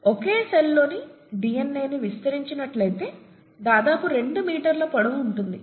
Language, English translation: Telugu, The DNA in a single cell, if you stretch out the DNA, can be about 2 metres long, right